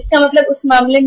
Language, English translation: Hindi, So in that case what happens